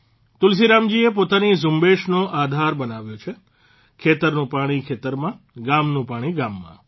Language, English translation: Gujarati, Tulsiram ji has made the basis of his campaign farm water in farms, village water in villages